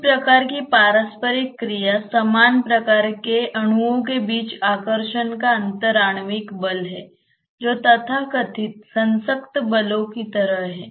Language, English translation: Hindi, One type of interaction is the inter molecular forces of attraction between the similar types of molecules which are like so called cohesive forces